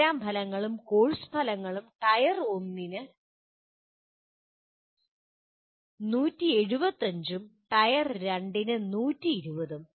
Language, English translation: Malayalam, Program outcomes and course outcomes 175 for Tier 1 and 120 for Tier 2